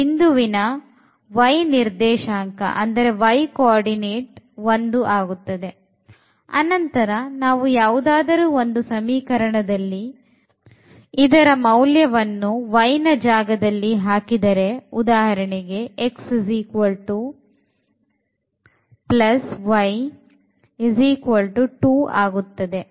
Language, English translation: Kannada, So, that is the coordinate of y and then we can put in any of these equations to get for example, x is equal to 1 plus y ; that means, 2